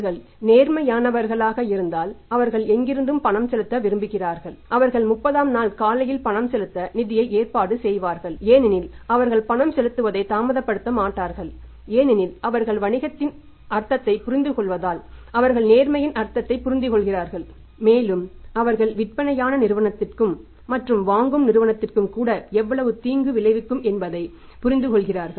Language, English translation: Tamil, If they are honest they want to make the payment from anywhere they will arrange the funds they will be making the payment on 30th day morning they will not delay the payment because they understand the meaning of the business they understand the meaning of sincerity and they understand the meaning of not paying it on the due date how much harm it can cause to the selling firm and even to the buying firm also because it will spoil it will harm their reputation